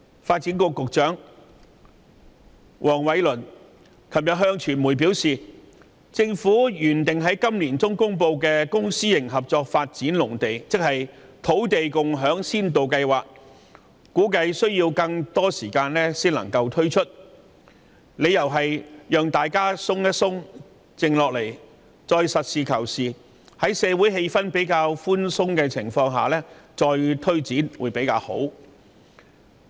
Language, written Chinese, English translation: Cantonese, 發展局局長黃偉綸昨天向傳媒表示，政府原定於今年年中公布的公私營合作發展農地計劃，估計需要更多時間方可推出，理由是先讓大家放鬆和冷靜下來，待社會氣氛緩和後，才實事求是，再作推展。, Yesterday Secretary for Development Michael WONG told the media that the Government was supposed to announce its plan to develop agricultural lots through public - private partnership in the middle of this year but at the moment this plan might need a longer lead time to allow room for members of the public to relax and calm down . The plan will only be implemented in a pragmatic manner when social tension has eased